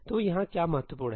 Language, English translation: Hindi, So, what is important here